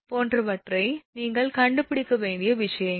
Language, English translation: Tamil, These are the things you have to find out